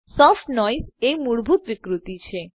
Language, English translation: Gujarati, Soft noise is the default distortion